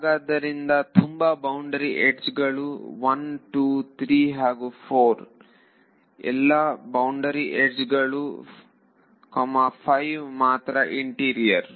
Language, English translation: Kannada, So, there are so many boundary edges 1 2 3 and 4 all boundary edges only 5 is interior